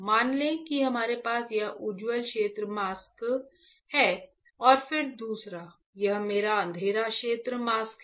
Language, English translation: Hindi, Let say we have this is my bright field mask and then another one, this is my dark field mask